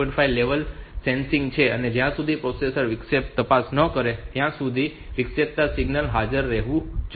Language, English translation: Gujarati, 5 there are level sensitive and the interrupting signal must remain present until the processor checks for the interrupts